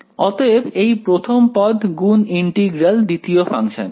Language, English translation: Bengali, So, first term multiplied by integral of the second function right